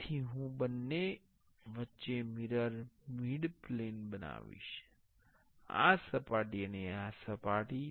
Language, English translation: Gujarati, So, I will create a mirror midplane between both; this surface and this surface